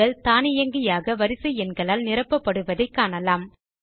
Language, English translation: Tamil, We see that the cells automatically get filled with the sequential serial numbers